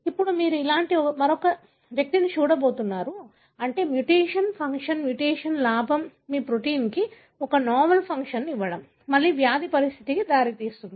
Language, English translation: Telugu, Now, you are going to look at one more such bad guy, meaning a mutation, gain of function mutation giving a novel function to your protein, again resulting in a disease condition